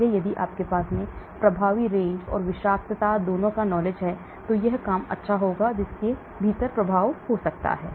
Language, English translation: Hindi, So if you have the effective range and toxic, this will be nice to operate within which effective could be